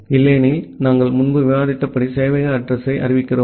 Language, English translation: Tamil, Otherwise we declare the server address as we have discussed earlier